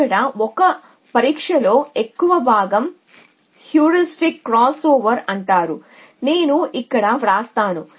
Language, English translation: Telugu, But the most in testing 1 here is called Heuristic crossover, so let me write it here